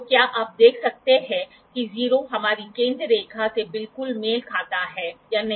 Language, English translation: Hindi, So, can you see that the 0 is exactly coinciding with our central line or not